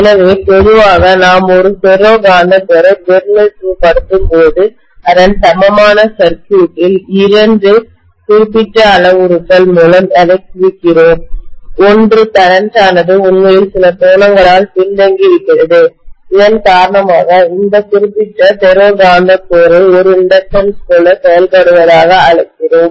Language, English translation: Tamil, So generally, when we represent a ferromagnetic core, we represent this by two specific parameters in its equivalent circuit, one is the current is actually lagging behind by certain angle because of which, we call this particular ferromagnetic core to be acting like an inductance